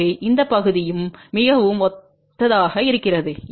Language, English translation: Tamil, So, this part also looks very very similar